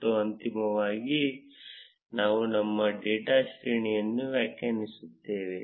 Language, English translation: Kannada, And finally, we would define our data array